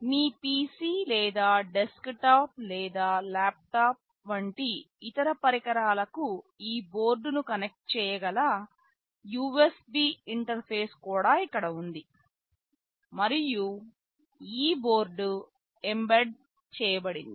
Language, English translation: Telugu, There is also an USB interface out here through which you can connect this board to other devices, like your PC or desktop or laptop, and this board is mbed enabled